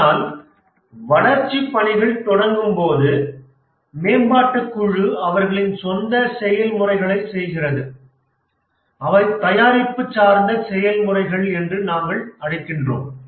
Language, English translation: Tamil, But as the development work starts, the development team carries out their own processes, those we call as product oriented processes